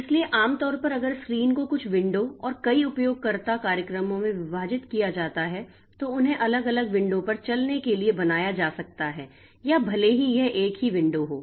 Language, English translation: Hindi, So, normally the screen is divided into a few windows and multiple user programs that they run they can be made to run on different windows, okay